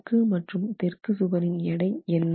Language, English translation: Tamil, So, what is the weight of the north wall and the south wall